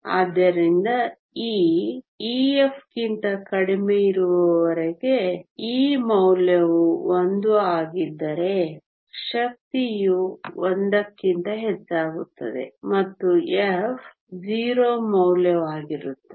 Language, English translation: Kannada, So, as long as the energy e is less than e f the value is 1 the energy goes above e f the value is 0